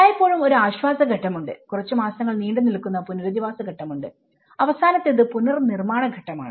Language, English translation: Malayalam, There is always a relief stage, there is a rehabilitation stage which goes for a few months and the final is the reconstruction stage